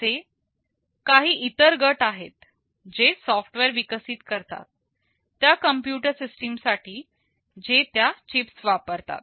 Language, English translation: Marathi, There are some other groups who develop software for those computer systems that use those chips